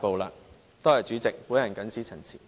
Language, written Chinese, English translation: Cantonese, 多謝代理主席，我謹此陳辭。, Thank you Deputy President I so submit